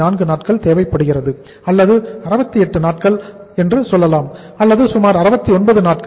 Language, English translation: Tamil, 4 days or you can say 68 days or 69 days or something around this